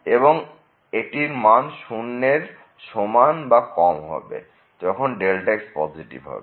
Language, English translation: Bengali, And, it will remain as less than equal to 0 if is positive